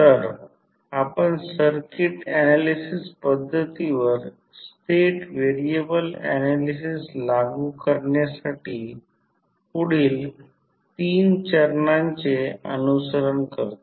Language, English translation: Marathi, So, to apply the state variable analysis to our circuit analysis method we follow the following three steps